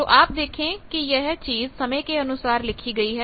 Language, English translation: Hindi, So, we see that this thing is a thing expressed with time